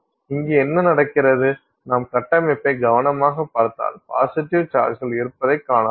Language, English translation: Tamil, So, what happens here is that if you look at the same location as the center of the positive charge